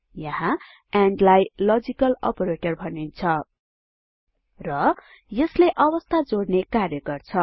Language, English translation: Nepali, Here AND is called a logical operator, and here it serves to combine conditions